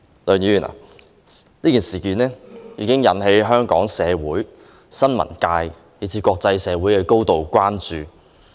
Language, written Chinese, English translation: Cantonese, 此事已經引起香港社會、新聞界以至國際社會的高度關注。, This incident has aroused grave concern locally and internationally as well as among the press